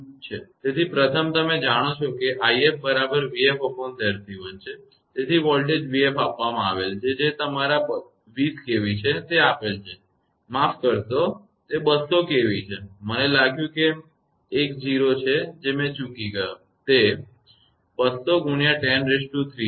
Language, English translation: Gujarati, So, first is you know i f is equal to v f upon Z c 1; so, voltage v f is given that is your 20 k V; it is given sorry it is 200 k V, I think it is one 0 I have missed, it is 200 into 10 to the power 3